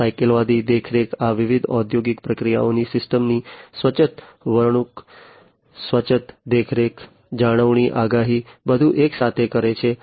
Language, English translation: Gujarati, And holistic monitoring lots of predictions autonomous behavior of the systems, autonomous monitoring, maintenance, prediction everything together of these different industrial processes